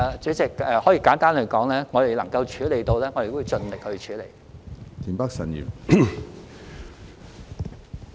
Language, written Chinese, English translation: Cantonese, 主席，簡單來說，如果我們能夠處理，我們都會盡力處理。, President briefly speaking if we can handle we will try our best to handle it